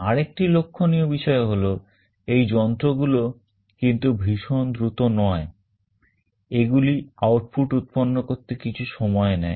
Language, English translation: Bengali, The other point you note is that these devices are not lightning fast; they take a little time to generate the output